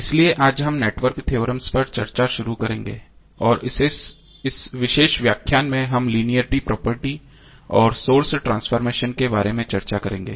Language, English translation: Hindi, So today we will start the discussion on network theorem, and in this particular lecture we will discuss about the linearity properties and the source transformation